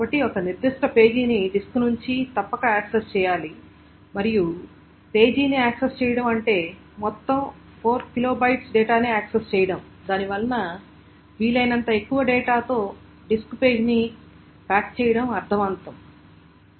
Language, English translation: Telugu, So since a particular page must be accessed from the disk, since accessing the page meaning accessing all 4 kilobytes of data, it makes sense to pack in the disk page with as much data as possible